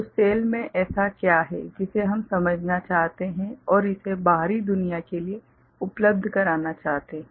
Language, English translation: Hindi, So, what is there in the cell, that we would like to sense and make it available to the outside world